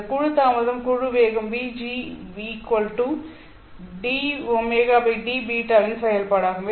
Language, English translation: Tamil, And this group delay is a function of group velocity VG